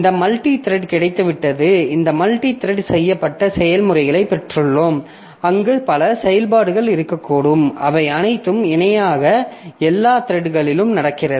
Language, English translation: Tamil, So, we have got this multi threaded, we have got this multi threaded processes where there can be multiple threads of execution which are going on parallel across all of them, across all the threads